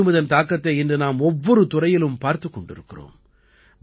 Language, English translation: Tamil, And today we are seeing its effect in every field